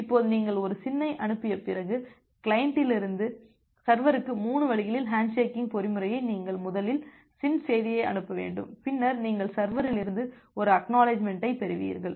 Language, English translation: Tamil, Now, after you have send a SYN then you can in that 3 way handshaking mechanism from the client to server first you have to send the SYN message, then you will receive an ACK from the server along with the SYN from the server as well and finally you will send the ACK message